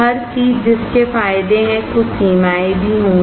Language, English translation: Hindi, Everything that has advantages would also have some limitations